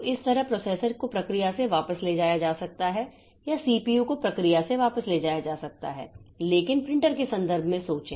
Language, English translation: Hindi, So, this way the processor can be taken back from the process or the CPU can be taken back from the process but think in terms of the printer